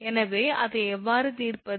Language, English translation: Tamil, So, how to solve it